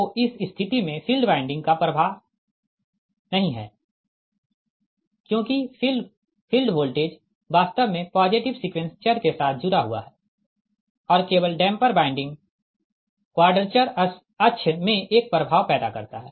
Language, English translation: Hindi, that field winding has no influence because field voltage actually associated with the positive sequence variables and only the damper winding produces an effect in the quadrature axis